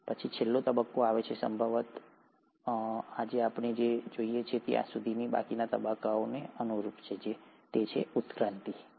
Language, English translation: Gujarati, And then, comes the last phase which would probably correspond to the rest of the phase all the way from here till what we see present today, is the evolution